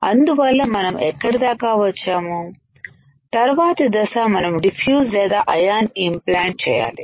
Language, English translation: Telugu, Now, these three things we need to know and one more step is diffusion or ion implantation